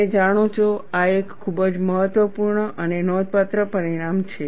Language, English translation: Gujarati, You know, this is a very very important and significant result